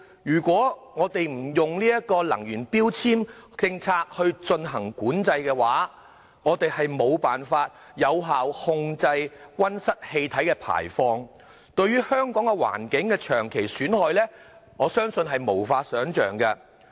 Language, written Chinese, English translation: Cantonese, 如果不利用能源標籤政策進行規管，我們將無法有效控制溫室氣體的排放，對香港環境的長期損害將無法想象。, Without an energy efficiency labelling policy we will be unable to efficiently control greenhouse gases emission and thus the long - term harms caused to the environment in Hong Kong will be unimaginable